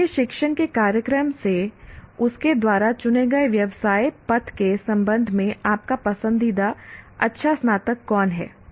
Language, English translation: Hindi, Who is your favorite good graduate in respect to the career path chosen by her or him from the program of your discipline